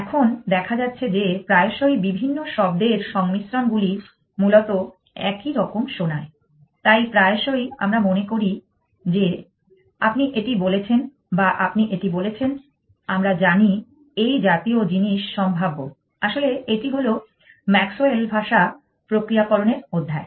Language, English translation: Bengali, Now, it turns out that very often different word combinations sounds similar essentially, so very often we think you said this or did you say this, we know the such a thing is possible impact, this in the chapter on Maxwell language processing